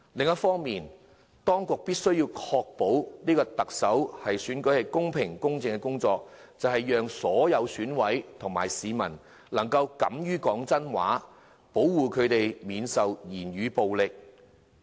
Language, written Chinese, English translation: Cantonese, 當局的工作，是要確保特首選舉公平、公正進行，讓所有選委及市民能夠敢於說真話，保護他們免受言語暴力威嚇。, The authorities must ensure the fair and equitable conduct of the Chief Executive Election so that all EC members and members of the public will have the courage to tell the truth and protect them against the threat of verbal violence